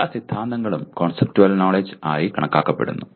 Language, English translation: Malayalam, All theories are also considered as conceptual knowledge